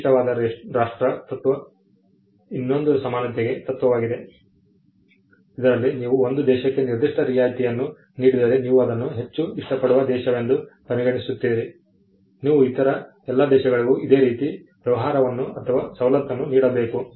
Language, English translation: Kannada, The most favored nation treatment is another equality principle, wherein if you offer a particular concession or a treatment to one country, you treat that as a most favored country, you should offer similar treatment to all other countries as well